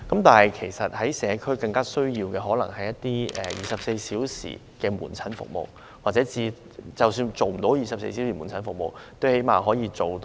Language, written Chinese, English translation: Cantonese, 但是，其實社區更需要一些24小時門診服務，或最少是較長的晚間門診服務。, However the community in fact needs some 24 - hour outpatient services or at least longer evening outpatient service . This is also good for the medical system